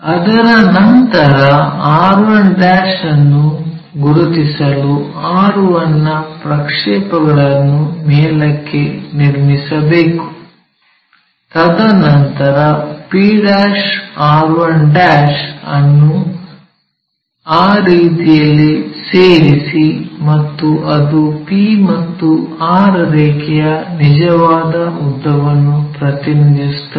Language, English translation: Kannada, After that project r 1 all the way up to locate r 1', and then join p' r 1' in that way, and this represents true length of the line p and r